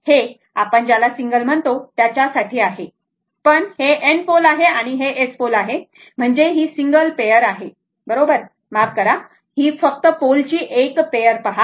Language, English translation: Marathi, This is for your what you call for your single, if you look into that because N pole and S pole and single pair of poles right sorry, see your one pair of poles